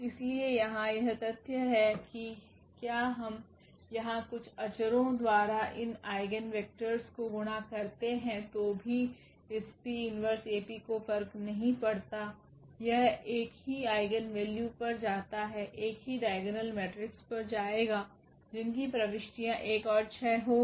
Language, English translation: Hindi, So, here it is material that whether we multiply here to these eigenvectors by some scalars; it does not matter with this P inverse AP will lead to the same eigen, same diagonal matrix whose entries will be 1 and 6